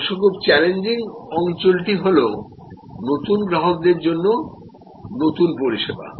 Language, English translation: Bengali, The very challenging area of course, is this new service for new customers